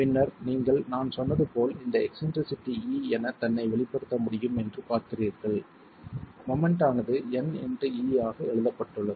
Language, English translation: Tamil, And then you see that this can be expressed, eccentricity, E itself, as I said, the moment is written as N into E